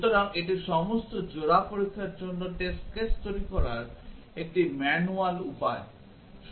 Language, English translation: Bengali, So, this is a manually way of generating the test cases for all pairs testing